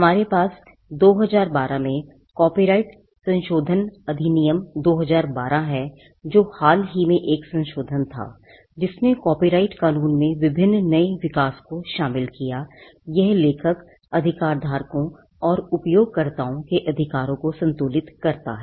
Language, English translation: Hindi, We have an amendment in 2012 the copyright amendment Act, 2012 which was a recent amendment, which incorporated various new developments in copyright law it seeks to balance the rights of the author’s, right holders and the users